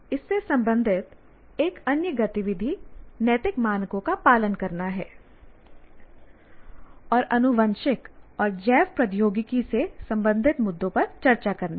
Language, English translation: Hindi, And another activity related to this is adhere to ethical standards in discussing issues in genetic and biotechnology, issues related to genetics and biotechnology